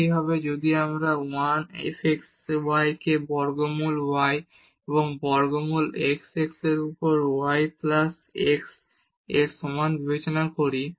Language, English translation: Bengali, Similarly, if we consider this 1 f x y is equal to square root y plus square root x over y plus x